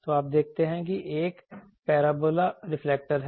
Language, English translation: Hindi, So, you see there is a parabola reflector